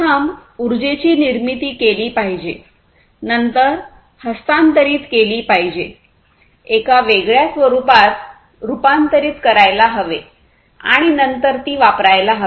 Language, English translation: Marathi, So, basically the energy has to be first created, the energy is then transferred, transformed into a different form, and then gets consumed